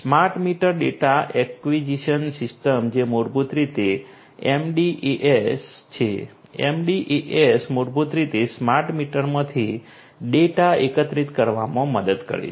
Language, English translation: Gujarati, Smart meter data acquisition system which is basically the MDAS, the MDAS is basically helps in gathering of the data from the smart meters